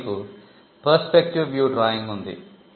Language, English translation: Telugu, Here, you have the perspective view drawing